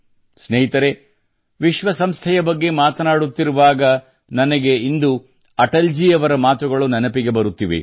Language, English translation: Kannada, today while talking about the United Nations I'm also remembering the words of Atal ji